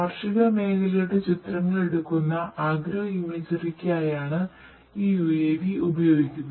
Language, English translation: Malayalam, This UAV we use for agro imagery taking images of agricultural field